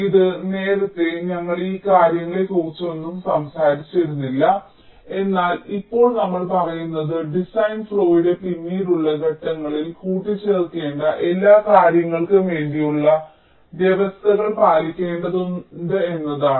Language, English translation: Malayalam, so this earlier we did not talk about all these things, but now we are saying that we need to keep provisions for all these things which need to be added in later stages of the design flow